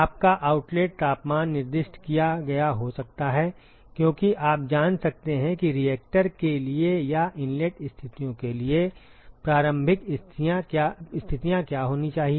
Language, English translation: Hindi, Your outlet temperatures may have been specified, because you may know what should be the initial conditions for the or the inlet conditions for a reactor